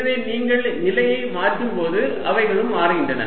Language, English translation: Tamil, so as you change the position, they also change